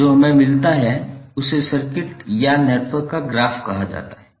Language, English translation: Hindi, So what we get is called the graph of the circuit or graph of the network